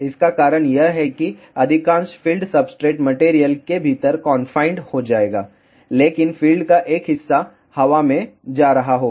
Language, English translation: Hindi, The reason for that is most of the field will be confined within the substrate material, but part of the field will be going in the air